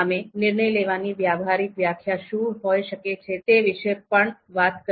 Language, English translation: Gujarati, We also talked about what could be a you know practical definition of decision making